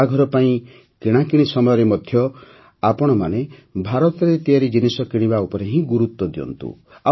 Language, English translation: Odia, While shopping for weddings, all of you should give importance to products made in India only